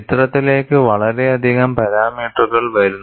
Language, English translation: Malayalam, That too many parameters come into the picture